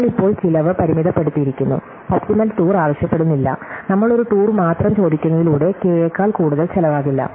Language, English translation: Malayalam, So, we have just given a bound on the cost, we are not asking for an optimum tour, we just in only asking for a tour with does not cost more than K